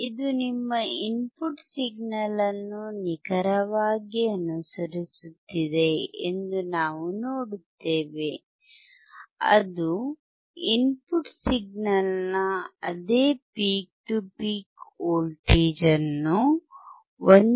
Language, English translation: Kannada, We will see it exactly follows your input signal it follows the same peak to peak voltage of an input signal you can see it is from 1